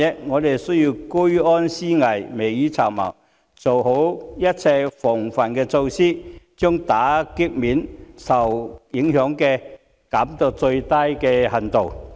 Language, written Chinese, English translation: Cantonese, 我們需要居安思危，未雨綢繆，做好一切防範措施，將打擊面或受影響的層面減至最低。, We need to maintain vigilance in times of peace and start planning early in order to minimize the scope of impact or the affected areas